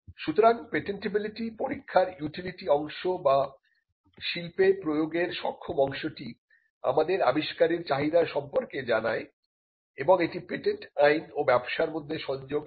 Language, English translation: Bengali, So, the utility part, or the capable of industrial application part of the patentability test is, what tells us that an invention could have a demand, and it brings the connect between patent law and business